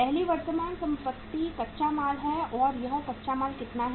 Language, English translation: Hindi, First current asset is the raw material and this raw material is how much